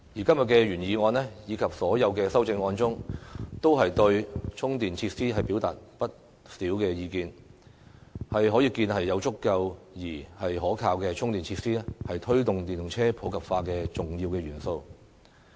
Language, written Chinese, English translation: Cantonese, 今天的原議案及修正案均對充電設施表達了不少意見，可見有足夠而可靠的充電設施，是推動電動車普及化的重要元素。, Todays motion and amendments have voiced quite a lot of opinions regarding charging facilities which show that sufficient and reliable charging facilities are crucial for promoting the popularization of EVs